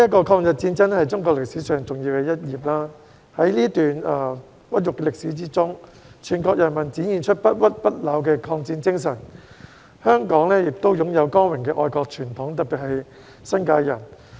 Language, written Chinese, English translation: Cantonese, 抗日戰爭是中國歷史上重要的一頁，在這段屈辱的歷史中，全國人民展現出不屈不撓的抗戰精神，香港亦擁有光榮的愛國傳統，特別是新界人。, The War of Resistance against Japanese Aggression is an important chapter in the history of China . During this historical period of humiliation all people across the country demonstrated their indomitable spirit of resistance in the war . Hong Kong also has a glorious patriotic tradition especially among the people in the New Territories